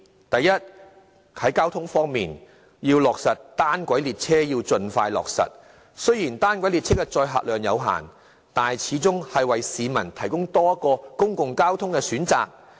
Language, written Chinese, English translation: Cantonese, 第一，在交通方面，要盡快落實單軌列車，雖然單軌列車的載客量有限，但始終是為市民提供多一個公共交通選擇。, First in respect of transport the Government should implement a monorail system as soon as practicable . Though with only limited capacity monorail trains offer people an additional option of public transport